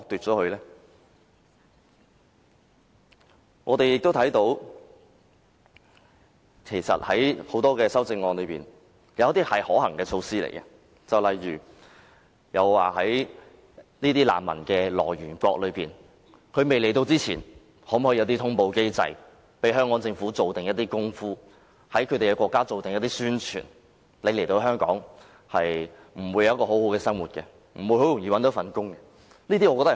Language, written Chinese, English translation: Cantonese, 在各項修正案中，其實不乏一些可行措施，例如在難民未來港之前，是否可和來源國建立通報機制，以便香港政府可及早先做一些工夫，在那些國家進行宣傳，告訴他們來港後不會獲得很好的生活，亦不容易找到工作？, Some feasible measures have in fact been proposed in the various amendments such as the setting up of a notification mechanism with the countries of origin of refugees before their arrival so that early actions may be taken by the Hong Kong Government to launch publicity campaigns in such countries to advise their nationals that they would not be able to lead a very decent life or seek a job very easily in Hong Kong